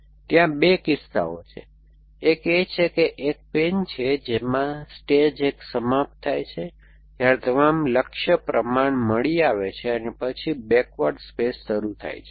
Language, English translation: Gujarati, So, there are 2 cases, one is that a pan exists in which case stage 1 ends when all goal proportions are found then the backward space begins else